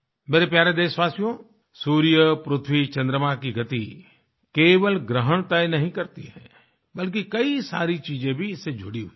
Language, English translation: Hindi, My dear countrymen, the movement of the sun, moon and earth doesn't just determine eclipses, rather many other things are also associated with them